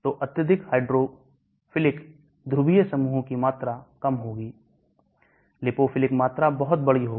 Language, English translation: Hindi, So highly hydrophilic polar groups volume will be low, lipophilic volume will be very large